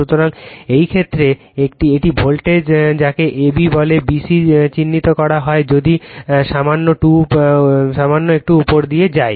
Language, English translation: Bengali, So, in this case it is voltage is what you call a b b c is marked if you move little bit upward , right